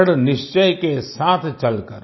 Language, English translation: Hindi, Treading ahead with a firm resolve,